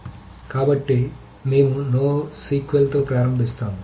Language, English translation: Telugu, So we will start off with no SQL